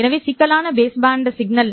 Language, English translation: Tamil, So, this would be the complex baseband signal